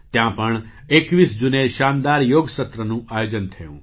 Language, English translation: Gujarati, Here too, a splendid Yoga Session was organized on the 21st of June